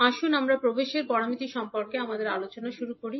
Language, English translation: Bengali, So, let us start our discussion about the admittance parameters